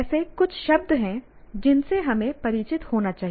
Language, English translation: Hindi, Now, these are the few words that one has to be familiar with